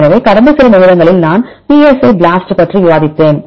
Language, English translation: Tamil, So, in the last few minutes I discussed about psi BLAST right